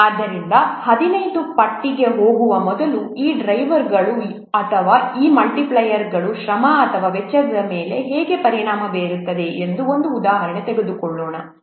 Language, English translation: Kannada, So before going to the 15 list, let's take an example that how these cost drivers or these what multipliers they are affecting the effort or the cost